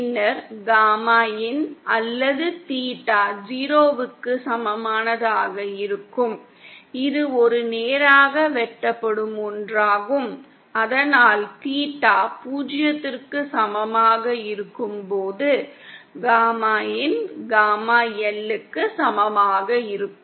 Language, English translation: Tamil, Then gamma in or theta equal to Zero, this will a straight cut short and so that In that case gamma in at theta equal to zero will be equal to gamma L